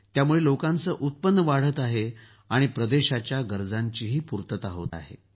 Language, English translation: Marathi, On account of this the income of the people is also increasing, and the needs of the region are also being fulfilled